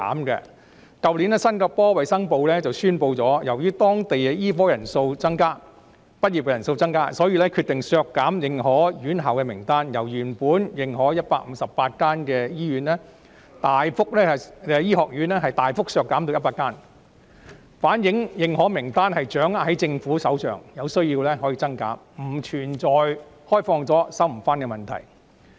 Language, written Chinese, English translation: Cantonese, 去年新加坡衞生部宣布，由於當地醫科畢業生人數增加，所以決定削減認可院校的名單，由原本認可的158間醫學院，大幅削減至100間，反映認可名單掌握在政府手上，有需要可以增減，不存在擴展後便無法收回的問題。, Last year the Ministry of Health of Singapore announced that due to an increase in the number of local medical graduates it decided to have the list of recognized schools narrowed down drastically from the originally recognized 158 medical schools to 100 . This shows that the recognized list is in the hands of the Singaporean Government and can be expanded or shortened when necessary . There is no question of the extension being unretractable